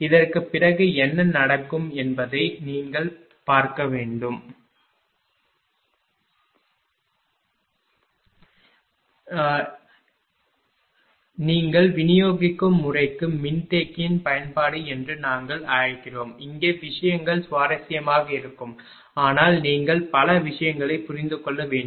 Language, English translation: Tamil, After this what will happen we will move to your what you call application of capacitor to distribution system, here things will be interesting, but you have to you have to understand many things